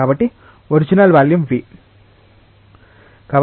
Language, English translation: Telugu, So, original volume was v